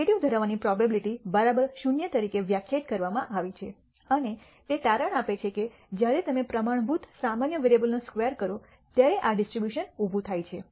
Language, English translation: Gujarati, The probability to have negative values is defined to be exactly equal to 0 and it turns out that this distribution arises when you square a standard normal variable